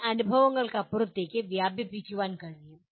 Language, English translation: Malayalam, Can extend beyond previous experiences